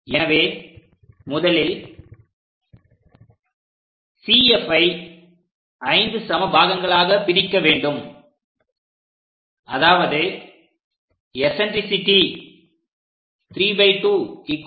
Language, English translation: Tamil, So, first, we divide this C to F into 5 equal parts in such a way that eccentricity 3 by 2 are 1